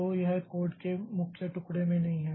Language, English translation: Hindi, So, this is not there in the piece of code